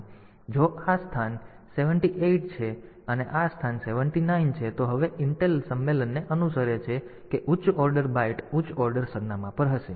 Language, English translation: Gujarati, So, if this is the location 78 and this is the location 79, now since intel follows the convention that the higher order byte will be at higher order address